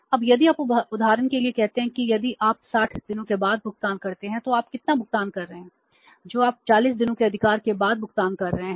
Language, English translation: Hindi, Now if you say for example if you pay after 60 days then how much you are paying you are paying more than what you are paying after the 40 days right we are making the payment which is more